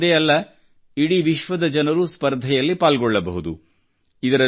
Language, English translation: Kannada, Not only Indians, but people from all over the world can participate in this competition